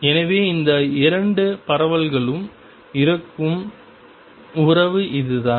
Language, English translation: Tamil, So, this is the kind of relationship that these 2 spreads have